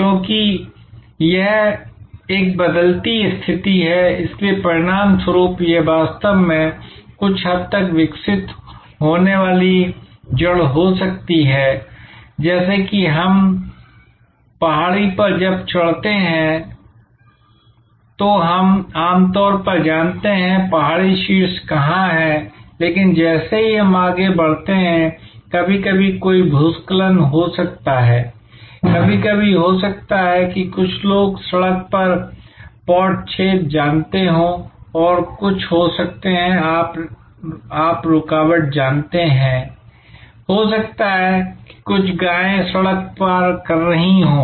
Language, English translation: Hindi, Because, this is a changing position, this is a changing position, so as a result this may be actually a somewhat evolving root, just as when we or climbing a hill, then we know generally where the hill top is, but as we proceed sometimes there may be a landslides, sometimes there maybe some you know pot hole on the road and there may be some, you know obstruction, maybe some cows are crossing the road